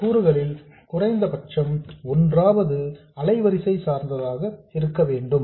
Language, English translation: Tamil, So at least one of these components has to be frequency dependent